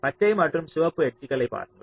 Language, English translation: Tamil, see the green and the red edges, the